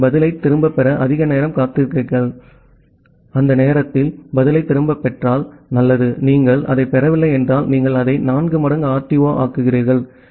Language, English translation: Tamil, So, you wait for more time to get back the response, if you get back the response by that time it is good, if you are not getting that then you make it 4 times the RTO